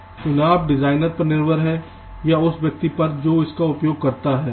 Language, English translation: Hindi, of course, the choices up to the designer or the person uses it